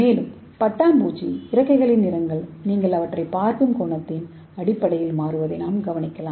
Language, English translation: Tamil, And again another example is from the same butterfly like you can notice that the color of butterfly wing change based on the angle you look at them, okay